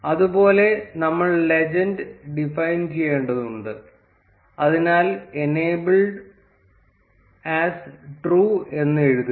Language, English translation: Malayalam, Similarly, we need to define the legend, so write enabled as true